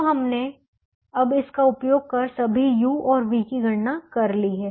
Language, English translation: Hindi, so we have now calculated all the u's and the v's using this